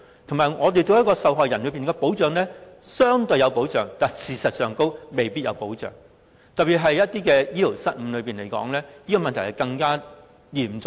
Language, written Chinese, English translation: Cantonese, 同時，我們對於受害人，看似相對上有保障，但事實並非如此，特別以醫療失誤來說，我認為這問題更為嚴重。, Moreover while it looks like we have provided the victims with relatively better protection it is not true in fact . I believe the problem is particularly serious in connection with medical incidents